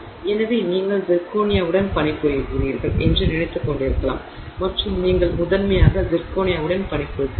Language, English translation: Tamil, So, you may be thinking that you are working with say zirconia and you are primarily working with zirconia but it may not be only zirconia